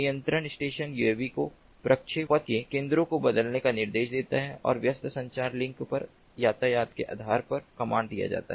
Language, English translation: Hindi, the control station instructs the uavs to change the centers of trajectory and the command is given based on the traffic at the busy communication link